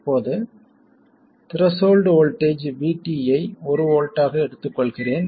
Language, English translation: Tamil, I will also take the threshold voltage VT to be 1 volt